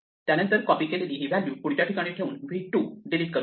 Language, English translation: Marathi, So we just copy this value from here to here and then we delete v 2